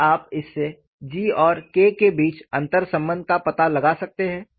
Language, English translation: Hindi, Can you find out an interrelationship between G and K with this